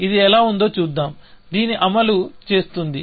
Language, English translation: Telugu, Let us see how it actually, executes this